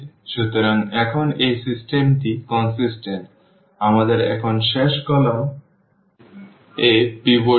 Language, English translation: Bengali, So, now, this system is consistent, we do not have pivot in the last column now